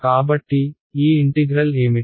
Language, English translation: Telugu, So, what will this integral be